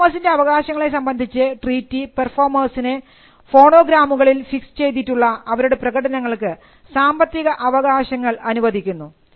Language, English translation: Malayalam, With regard to the right of performers the treaty grants performers economic rights in their performances fixed in phonograms